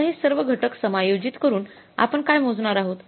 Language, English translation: Marathi, So, adjusting all these factors now we will be calculating what